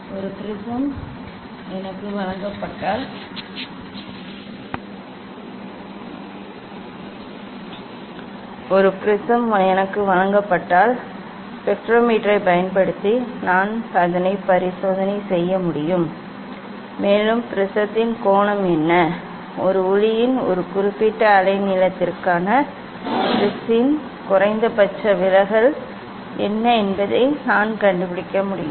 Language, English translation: Tamil, if a prism is given to me, then using the spectrometer I can do experiment and I can find out what is the angle of the prism, what is the minimum deviation of the prism for a particular wavelength of a light, also one can find out the minimum deviation of the prism for different wavelength